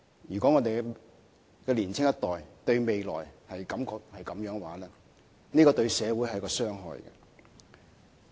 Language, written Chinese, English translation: Cantonese, 如果我們的年輕一代對未來有此想法，對社會而言會造成傷害。, If our younger generations have such an idea about the future it will be detrimental to society